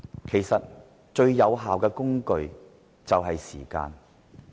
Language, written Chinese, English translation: Cantonese, 其實，最有效的反"拉布"工具就是時間。, In fact time is the most effective tool to counter filibustering